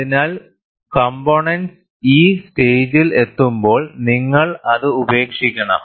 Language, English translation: Malayalam, So, obviously, when the component reaches this stage, you have to discard it